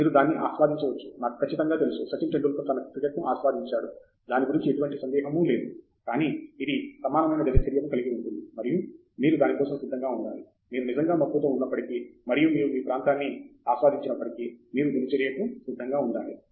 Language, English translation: Telugu, You might enjoy it, I am sure; Sachin Tendulkar enjoyed his cricket, there is no doubt about it, but it involves an equal amount of routine, and you have to be ready for that even if you really are passionate and you enjoy your area, you have to be ready for the routine